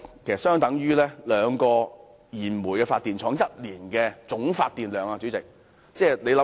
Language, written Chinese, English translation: Cantonese, 這相等於兩家燃煤發電廠一年的總發電量。, It is equivalent to the total annual generation of two coal - fired power plants